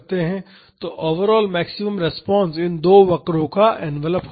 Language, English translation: Hindi, So, the maximum overall response will be the envelope of these two curves